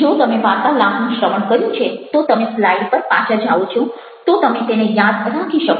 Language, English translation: Gujarati, if you listen to the talk and then you have gone back to the slide, then you will remember it